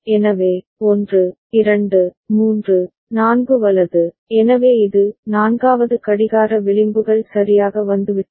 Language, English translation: Tamil, So, 1, 2, 3, 4 right, so this is the fourth clock edges have come right